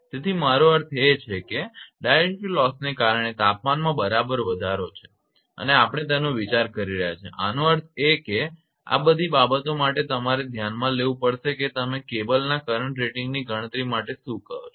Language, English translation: Gujarati, So, effect of I mean it is equivalent rise at the temperature due to dielectric loss and that we are considering so; that means, all these things you have to consider for that your what you call for calculation of the current rating of the cable